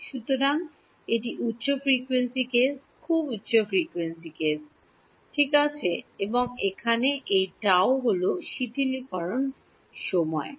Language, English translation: Bengali, So, that is the high frequency case very high frequency case right and this tau over here is what is called the relaxation time ok